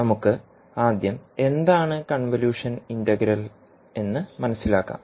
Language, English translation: Malayalam, So let us start, first understand, what is the convolution integral